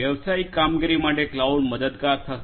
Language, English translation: Gujarati, For business operations cloud will be helpful